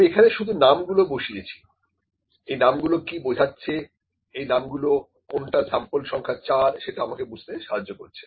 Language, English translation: Bengali, I have just put the names, what do these names represent it just helps me to recognise which is sample number 4